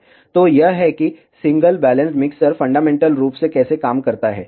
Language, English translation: Hindi, So, this is how a single balanced mixer fundamentally works